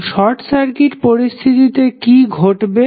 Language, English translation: Bengali, So what will happen under a short circuit condition